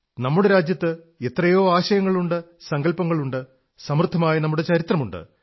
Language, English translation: Malayalam, Our country has so many ideas, so many concepts; our history has been very rich